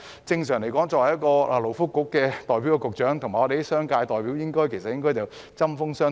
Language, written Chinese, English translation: Cantonese, 正常來說，勞工及福利局局長應該跟商界代表常常針鋒相對。, Normally the Secretary for Labour and Welfare should often go tit - for - tat with representatives of the business sector